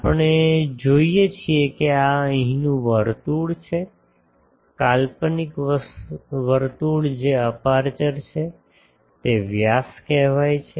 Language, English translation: Gujarati, We see this is the circle here; hypothetical circle that is the aperture; that is diameter is being said